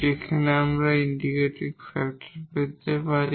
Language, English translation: Bengali, So, that will be the integrating factor